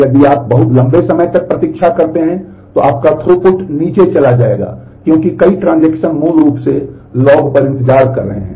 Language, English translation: Hindi, If you wait for too long, then your throughput will go down because several transactions are basically waiting on logs